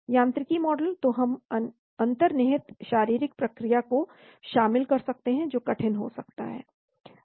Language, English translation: Hindi, Mechanistic model , so we can incorporate the underlying physiological process, that is going to be tough